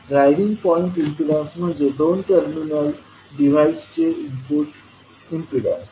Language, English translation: Marathi, Driving point impedance is the input impedance of two terminal device